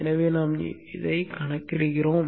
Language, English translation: Tamil, So this is what we have here